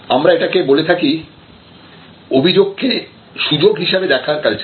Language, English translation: Bengali, So, this is, but we call complained as an opportunity culture